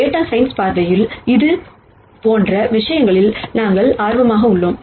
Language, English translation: Tamil, We are interested in things like this, from a data science viewpoint